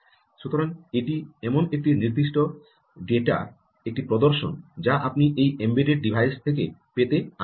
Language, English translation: Bengali, so, ah, this is a demonstration of a certain data that you, that we are interested in obtaining from this embedded device